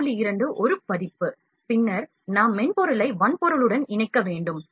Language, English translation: Tamil, 2 is a version, then we need to connect the software to hardware